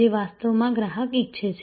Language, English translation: Gujarati, So, this is actually what the customer wants